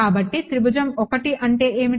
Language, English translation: Telugu, So, what is triangle 1